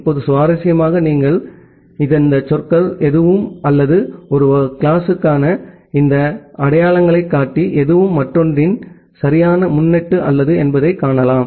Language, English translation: Tamil, Now, interestingly here you can see that none of these words or none of these identifier for a class is a proper prefix of another